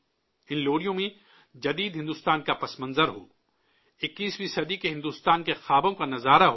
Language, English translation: Urdu, In these lullabies there should be reference to modern India, the vision of 21st century India and its dreams